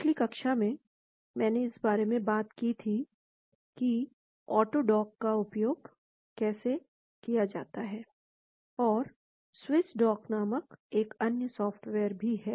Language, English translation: Hindi, In the previous class, I talked about how to use auto dock of course and there is another software called Swiss dock also